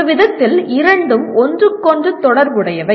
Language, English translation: Tamil, In some sense both are related to each other